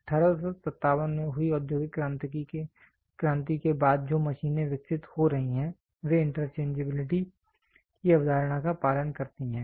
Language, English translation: Hindi, After the industrial revolution which happened in 1857 the machines which are getting developed followed the concept of interchangeability